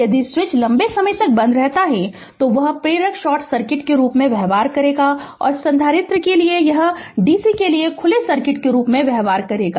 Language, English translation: Hindi, If the switch is closed for long time, that inductor will behave as a short circuit and for the capacitor it will behave as a for dc that open circuit